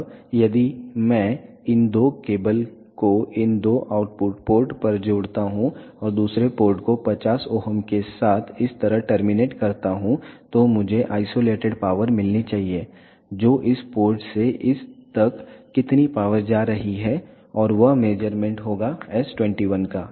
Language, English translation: Hindi, Now, if I connect these two cables at these two output ports and terminate the other port with the 50 ohm like this, then I should get the isolated power that is how much power is going from this port to this and that will be the measure of s 21